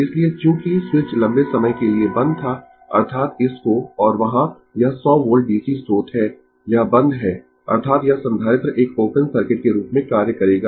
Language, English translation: Hindi, So, as switch was closed for a long time that means, to this and this 100 volt DC source is there, this is close; that means, this capacitor will act as an open circuit right